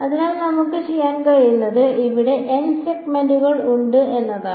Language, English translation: Malayalam, So, what we can do is there are n segments over here